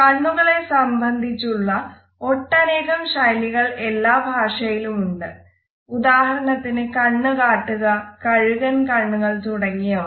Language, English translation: Malayalam, There are various idioms in every language which are related with the eyes; for example, making eyes, eagle eyes, shifty eyes etcetera